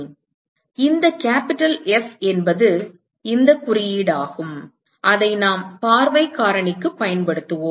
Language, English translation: Tamil, So, this term capital F is this symbol that we will use for view factor